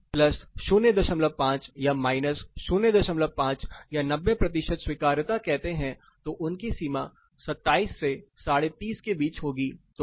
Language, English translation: Hindi, 5 say 90 percent acceptability then their limit would be somewhere between 27 and up to 30